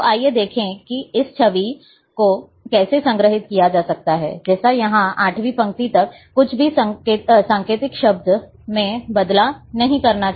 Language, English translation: Hindi, So, let us, see how this image it can be stored, like here, because up to row eighth, nothing has to be coded